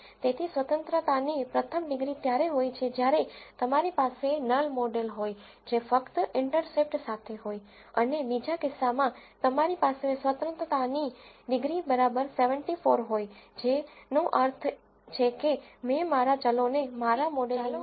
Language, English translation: Gujarati, So, the first degrees of freedom is when you have a null model that is only with the intercept and in the second case you have a degrees of freedom equal to 74 which means that I have included all the variables into my modeling